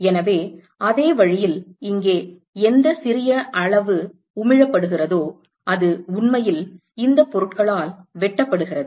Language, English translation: Tamil, So, in the same way here whatever little is emitted only very small quantity is actually intersected by these objects